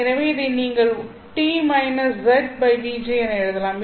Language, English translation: Tamil, So you can write this one as T minus Z by VG